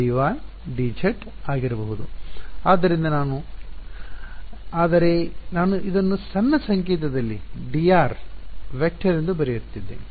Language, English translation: Kannada, So, I am, but I am writing it in short notation as d vector r ok